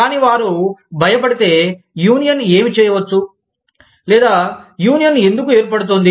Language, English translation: Telugu, But, if they are scared of, what the union may do, or, why the union is being formed